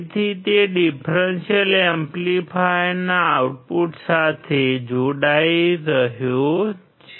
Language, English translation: Gujarati, So he is connecting to the output of the differential amplifier